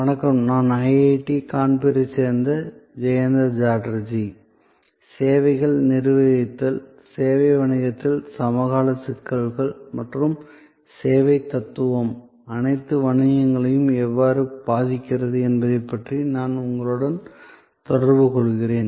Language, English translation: Tamil, Hello, I am Jayanta Chatterjee from IIT Kanpur and I am interacting with you on Managing Services, contemporary issues in the service business and how the service philosophy is influencing all businesses